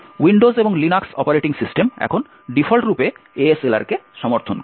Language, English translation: Bengali, Windows and Linux operating systems now support ASLR by default